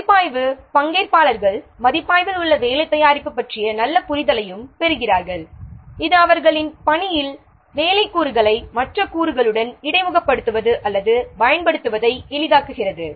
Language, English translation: Tamil, The review participants also gain a good understanding of the work product which is under review, making it easier for them to interface or use the work product in their work with other components